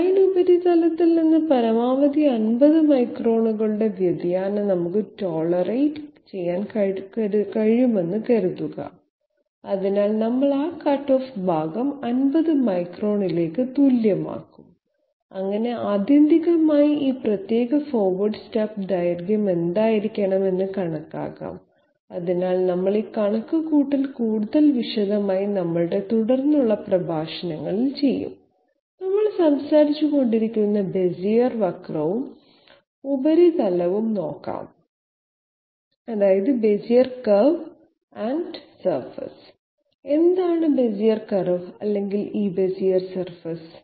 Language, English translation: Malayalam, Suppose we can tolerate a maximum deviation of 50 microns from the design surface, so we will equate this to 50 microns and sorry we will equate this to 50 microns and that way ultimately calculate what should be this particular forward step length, so we will do this calculation in more detail in our subsequent lectures, let us all to have a look at the Bezier curve and surface that we have been talking about, what is a Bezier curve for a Bezier surface